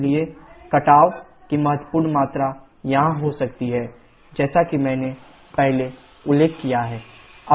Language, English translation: Hindi, So, significant erosion can take place here as I mentioned earlier